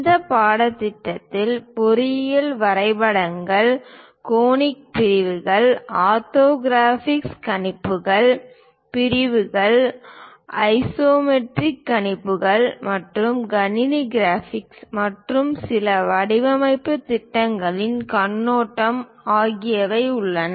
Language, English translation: Tamil, The course contains basically contains engineering drawings, conic sections, orthographic projections, sections isometric projections and overview of computer graphics and few design projects